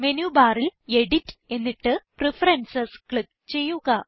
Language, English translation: Malayalam, From the Menu bar, click on Edit and then Preferences